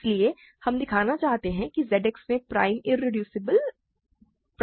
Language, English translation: Hindi, So, we want to show prime irreducible elements in Z X are prime